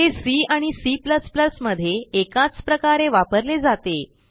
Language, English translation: Marathi, It is implemented the same way in both C and C++